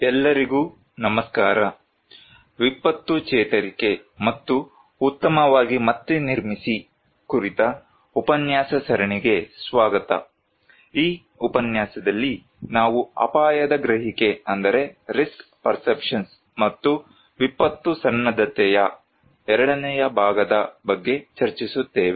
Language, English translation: Kannada, Hello everyone, welcome to the lecture series on disaster recovery and build back better, we in this lecture discuss about the second part of risk perceptions and disaster preparedness